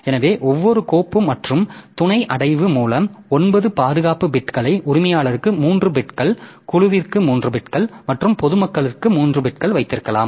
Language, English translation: Tamil, So, with each file and sub director we can keep nine protection bits, three bits for owner, three beats per group and three bits for public